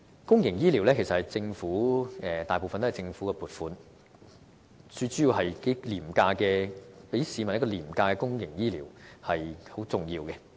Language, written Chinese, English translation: Cantonese, 公營醫療服務其實主要是依靠政府的撥款，從而向市民提供廉價的公營醫療，這是很重要的。, The provision of affordable public health care depends mainly on government funding . This is highly important